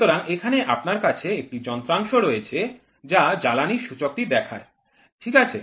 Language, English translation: Bengali, So, in here you have a device which is which is showing the fuel indicator, ok